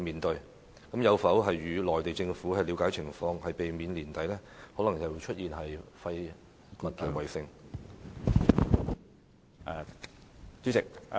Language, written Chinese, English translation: Cantonese, 當局有否向內地政府了解情況，以避免年底可能再度出現"廢物圍城"呢？, Have the authorities approached the Mainland Government to find out more about it so as to avoid the possible reoccurrence of waste besiegement in Hong Kong late this year?